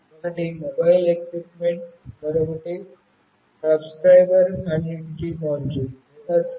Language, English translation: Telugu, One is the mobile equipment, and another is Subscriber Identity Module or SIM